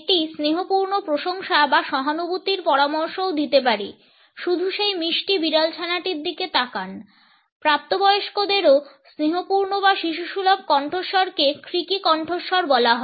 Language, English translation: Bengali, It can also suggest affectionate admiration or sympathy “just look at that sweet kitten” coaxing adults also the affectionate or babyish purring voice are known as creaky voices